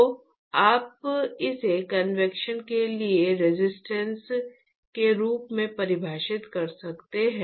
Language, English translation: Hindi, So, you can define this as resistance for convection